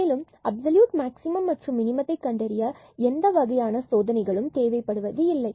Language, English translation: Tamil, And, hence no further test is required if we wish to find only absolute maximum and minimum